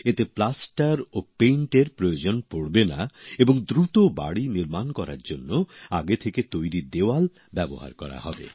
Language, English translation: Bengali, In this plaster and paint will not be required and walls prepared in advance will be used to build houses faster